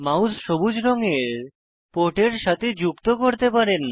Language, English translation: Bengali, You can connect the mouse to the port which is green in colour